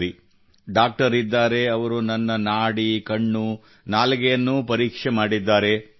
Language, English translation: Kannada, Okay…here's a doctor, he has checked my pulse, my eyes… he has also checked my tongue